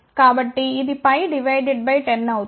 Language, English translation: Telugu, So, that will be pi divided by 10